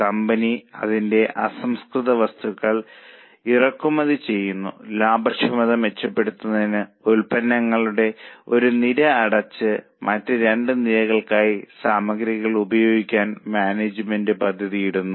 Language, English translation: Malayalam, Now, the company imports its raw material and the management is planning to close down one of the lines of products and utilize the material for the other two lines for improving the profitability